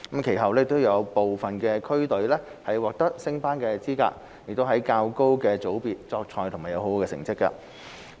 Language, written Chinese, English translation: Cantonese, 其後有部分區隊獲得升班資格，在較高的組別作賽及獲得佳績。, Many of district teams were subsequently qualified for promotion to higher divisions of the league and have achieved very good results